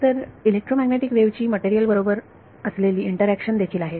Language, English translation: Marathi, So, the interaction of an electromagnetic wave with the material is also